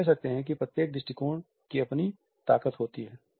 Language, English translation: Hindi, We can say that each approach has its own strength